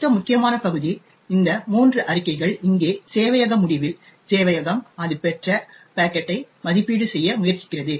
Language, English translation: Tamil, The next important part is these three statements over here at the server end, the server is trying to evaluate the packet that it has obtained